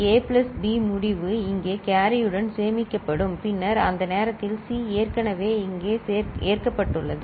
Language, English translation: Tamil, That A plus B result will be stored here with carry and then by that time C is already loaded here